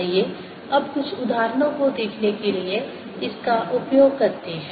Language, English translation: Hindi, let us now use this to see some examples